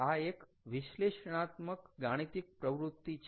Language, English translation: Gujarati, it, mathematical exercise, is an analytic analysis